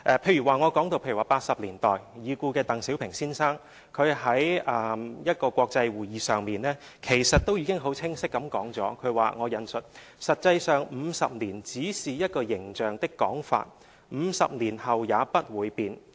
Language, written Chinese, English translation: Cantonese, 例如已故的鄧小平先生在1980年代的一個國際會議上已經很清晰地指出，他說："實際上50年只是一個形象的講法 ，50 年後也不會變。, For example the late Mr DENG Xiaoping pointed out clearly at an international conference in the 1980s As a matter of fact 50 years is only a vivid way of putting it and it will not change after 50 years